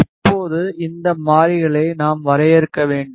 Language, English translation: Tamil, Now, this variables we have to define